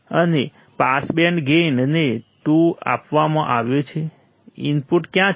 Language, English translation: Gujarati, And pass band gain right pass band gain is given 2 right; where is the input